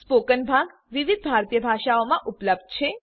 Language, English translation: Gujarati, The spoken part will be available in various Indian Languages